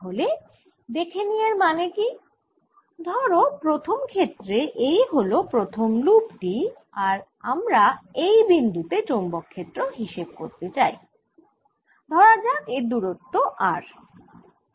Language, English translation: Bengali, suppose i look at the first case, first loop here, and i want to see the field at this point, which is, let's say, at distance r